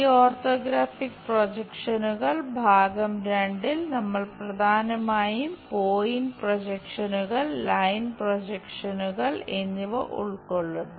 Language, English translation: Malayalam, In these orthographic projections part 2, we are mainly covering point projections, line projections